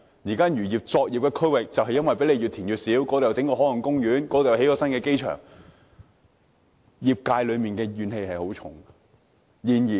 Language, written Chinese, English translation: Cantonese, 如今漁業的作業區域被填海填得越來越小，這裏有海岸公園，那裏又有新機場，業界有很大怨氣。, As the operation areas of the fishing industry have kept shrinking due to reclamation establishment of marine parks and extension of airport runways the fishing sector has great grievances